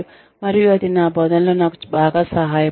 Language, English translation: Telugu, And, that has helped me considerably with my teaching